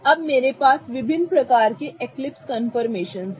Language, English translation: Hindi, Now there are various types of eclipsed confirmations I have here